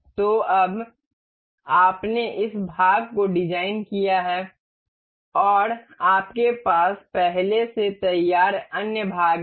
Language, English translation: Hindi, So, now, you have designed this part and you have other parts already ready